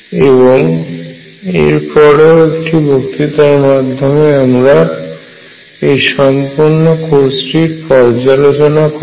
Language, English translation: Bengali, I will give one more lecture to review the entire course